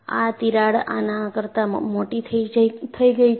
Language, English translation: Gujarati, And this crack has grown bigger than this